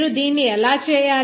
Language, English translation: Telugu, How to do this